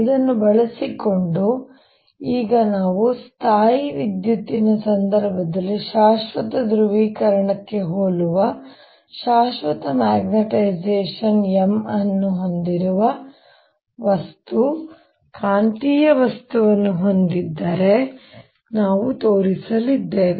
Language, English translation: Kannada, using this now we're going to show if i have a material, magnetic material, which has a permanent magnetization capital, m, something similar to the permanent polarization in the electrostatic case, so that m actually represents magnetic moment per unit volume